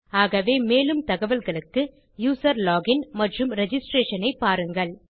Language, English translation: Tamil, So check my projects on user login and registration for more information